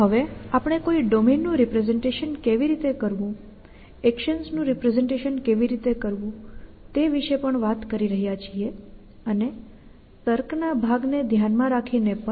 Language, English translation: Gujarati, Now, we a talking about how to represent a domain, how to represent actions and also we have keeping the reasoning part in mind